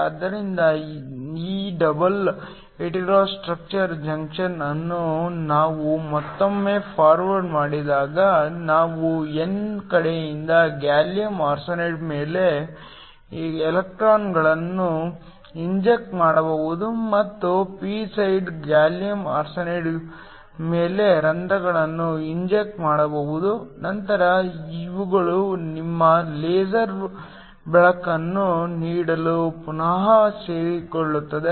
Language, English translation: Kannada, So, when we forward bias this double hetero structure junction once again we can inject electrons from the n side onto gallium arsenide and inject holes when the p side onto gallium arsenide, then these then recombine to give your laser light